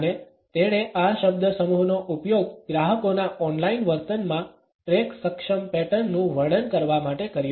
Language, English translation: Gujarati, And he used this phrase to describe track able patterns in online behaviour of customers